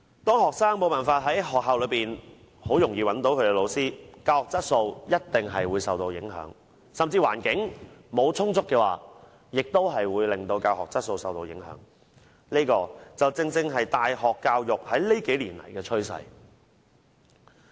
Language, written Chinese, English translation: Cantonese, 當學生無法在學校很容易地找到老師，教學質素一定會受到影響，如果沒有充足的教育資源，亦會令教學質素受到影響，這正正是大學教育在這數年的趨勢。, The teaching quality will definitely be affected if students cannot easily find their teachers in the school campus . Insufficient education resources will also affect the teaching quality . This has been the trend of university education over the past few years